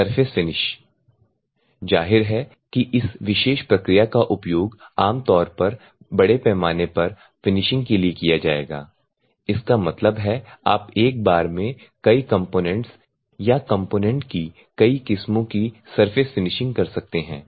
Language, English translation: Hindi, Surface finish; obviously, this particular process will be normally used for mass finishing; that means, that surface finishing of many components or many varieties of component in a one go you can do and normally this can be done for batch production